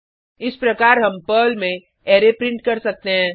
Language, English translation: Hindi, This is how we can print the array in Perl